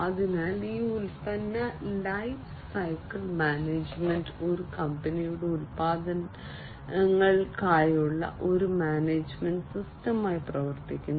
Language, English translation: Malayalam, So, this product lifecycle management works as a management system for a company’s products